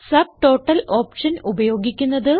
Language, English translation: Malayalam, Use the Subtotal option